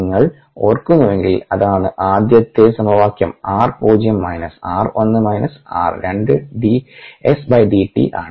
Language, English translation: Malayalam, if you remember that the first equation, r zero minus r one, minus r two, is d s d t